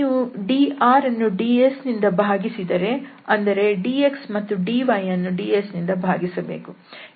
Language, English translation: Kannada, So, if you divide by this factor ds to dr and dx and dy